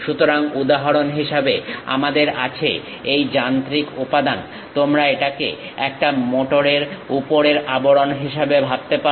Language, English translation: Bengali, So, for example, we have this machine element; you can think of this one as a top cover of a motor